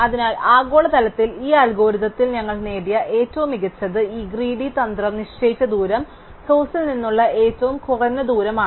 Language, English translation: Malayalam, So, globally the optimum we achieved in this algorithm is that the distance assigned by this greedy strategy happens to be the shortest distance from the source